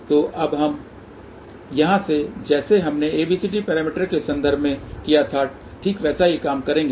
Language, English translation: Hindi, So, now, from here just as we did in terms of ABCD parameter will just exactly the similar thing